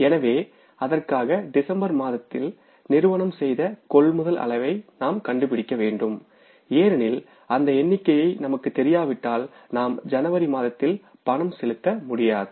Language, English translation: Tamil, So for that we have to find out the amount of purchases which the firm has done in the month of December because if we don't know that figure we won't be able to make the payment in the month of January